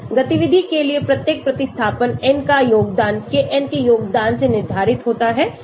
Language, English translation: Hindi, The contribution of each substituent n to activity is determined by the value of Kn